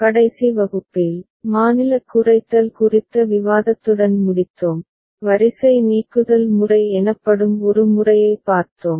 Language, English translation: Tamil, In the last class, we ended with a discussion on State Minimization and we looked at one method called row elimination method